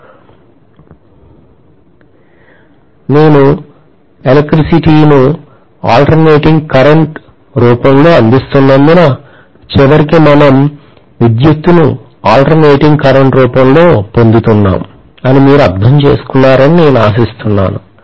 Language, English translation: Telugu, I hope you understand because I am providing electricity in the form of alternating current, I am also reaping ultimately electricity in the form of alternating current